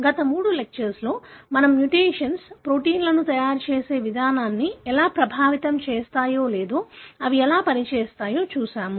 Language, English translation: Telugu, In the last three lectures we looked into how mutations affect the way the proteins are being made or how they function and so on